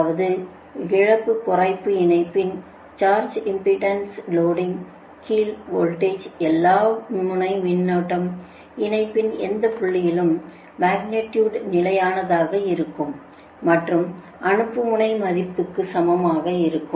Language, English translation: Tamil, that means it shows that in a loss less line under surge impedance loading, the voltage end current at any point along the line, are constant in magnitude and are equal to their sending end values